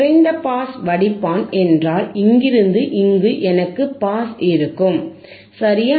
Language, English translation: Tamil, If I have a low pass filter means, I will have pass from here to here, correct